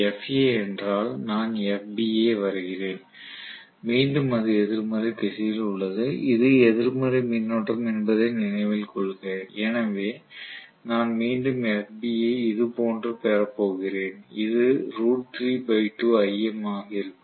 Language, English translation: Tamil, This what is FA right, and if I try to draw what is FB again it is along the negative direction please note that this is the negative current, so I am going to have again FB somewhat like this which will also be root 3 by 2 times Im and this is what is FB